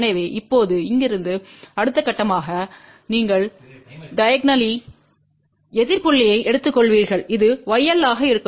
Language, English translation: Tamil, So, from here now thus next step is you take the diagonally opposite point which will be y L